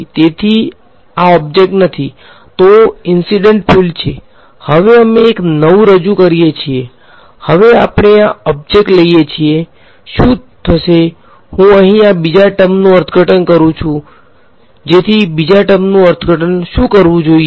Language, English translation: Gujarati, So, this is the incident field no object, now we introduce a new; now we introduce this object over here, what happens is I interpret this second term over here as so what should the interpretation of the second term